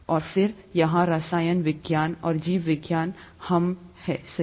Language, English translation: Hindi, And then chemistry here, and biology hmmm, right